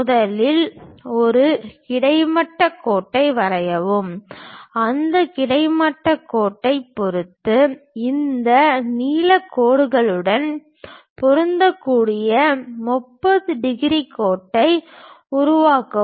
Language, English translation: Tamil, First draw a horizontal line, with respect to that horizontal line, construct a 30 degrees line that line matches with this blue line